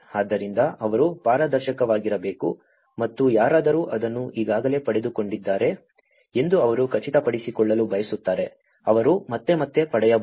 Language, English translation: Kannada, So, they want to make sure that something should be transparent and someone already got it they should not get again and again